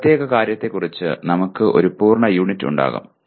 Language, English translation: Malayalam, We will have a complete unit on this particular thing